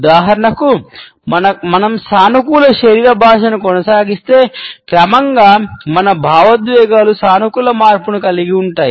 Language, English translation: Telugu, For example, if we maintain a positive body language, then gradually our emotions would have a positive shift